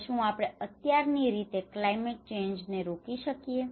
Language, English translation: Gujarati, Now, can we stop climate change just as of now